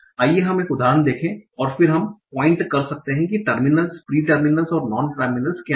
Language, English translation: Hindi, So let's see one example and then we can point out what are terminals, pre terminers and non terminals